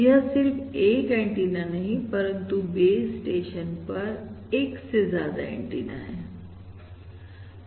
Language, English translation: Hindi, That is not just a single antenna, but more than 1 antenna at the base station and I have a single antenna…